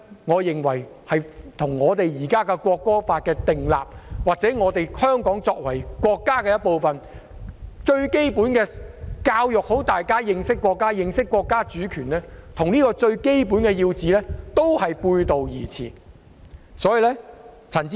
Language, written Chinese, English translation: Cantonese, 我認為這與我們現時訂立《條例草案》，或香港作為國家的一部分，而教育大家認識國家及國家主權這個最基本的要旨，都是背道而馳。, I think this would run counter to the most essential objective for us to enact the Bill or the fact that we should educate people to understand our country and national sovereignty since Hong Kong is a part of our country